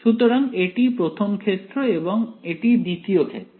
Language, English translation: Bengali, So, this is the 1st case, this is the 2nd case